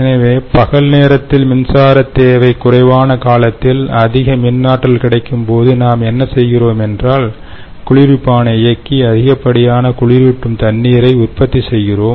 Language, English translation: Tamil, actually, during off peak hours, when we have higher electrical energy available to us, then what we do is we run the chiller and produce excess cooling water